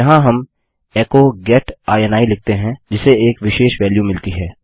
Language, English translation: Hindi, Here we just say echo get ini which gets a specific value